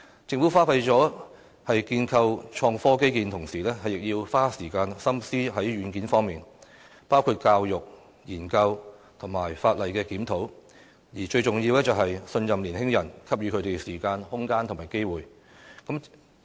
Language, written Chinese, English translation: Cantonese, 政府花費在建構創科基建的同時，亦要花時間心思在軟件方面，包括教育、研究和法例檢討，而最重要的是，信任年輕人，給予他們時間、空間和機會。, In addition to investment in the infrastructure for innovation and technology the Government also needs to spend time and efforts on the software of education research and legislative review work . Most importantly the city has to trust its young people and to give them time spaces and opportunities